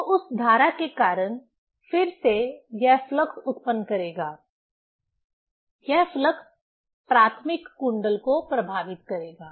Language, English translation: Hindi, So, because of that current again it will generate flux; that flux will affect the primary coil